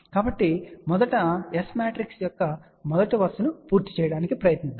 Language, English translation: Telugu, So, let us first try to complete the first row of this S matrix